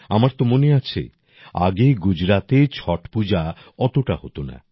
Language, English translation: Bengali, I do remember that earlier in Gujarat, Chhath Pooja was not performed to this extent